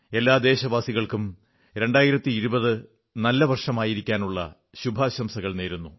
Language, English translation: Malayalam, I extend my heartiest greetings to all countrymen on the arrival of year 2020